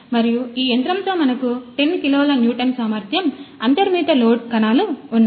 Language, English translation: Telugu, And with this machine we have inbuilt load cells of 10 kilo newton 10 kilo newton capacity inch